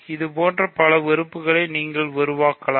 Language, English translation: Tamil, You can construct lots of elements like this